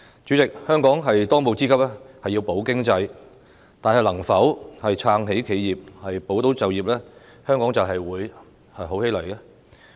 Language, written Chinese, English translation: Cantonese, 主席，香港的當務之急是要保經濟，但是否撐起企業、保就業，香港便會好起來呢？, President the first priority of Hong Kong is to safeguard the economy . However will the situation turns out well by supporting enterprises and safeguarding jobs?